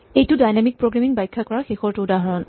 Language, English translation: Assamese, This is a final example to illustrate dynamic programming